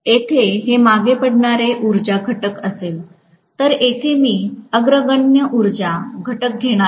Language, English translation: Marathi, Here it will be lagging power factor, whereas here, I am going to have leading power factor